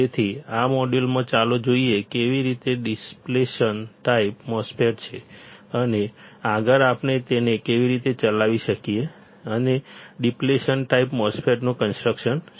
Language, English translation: Gujarati, So, in this module, let us see how the depletion type MOSFET is there, and further how we can operate it and what is the construction of depletion type MOSFET